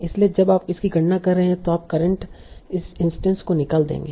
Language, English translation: Hindi, So when you are computing this, you will remove the current instance